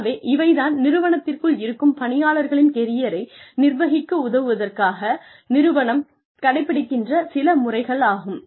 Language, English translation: Tamil, So, these are some of the methods in the, that organizations can adopt, to help manage the careers of employees, within the organizations